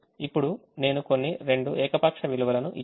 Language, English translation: Telugu, now i have given some two arbitrary values